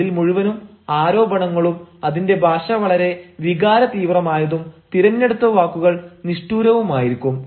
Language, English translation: Malayalam, it is very full of allegations, the language is very fiery, the the words chosen are also very harsh